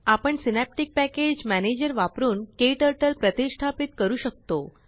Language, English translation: Marathi, We can install KTurtle using Synaptic Package Manager